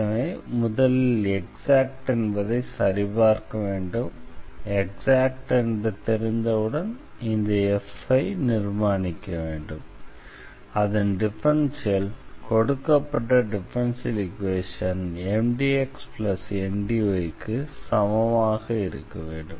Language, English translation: Tamil, So, we need to check this condition for the exactness, and once we know that the equation is exact then we have to construct this f somehow whose differential is the given differential equation Mdx plus Ndy